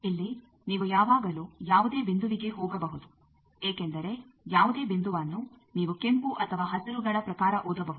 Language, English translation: Kannada, Here, you can always go any point from because any point you can read it in terms of the red ones or green ones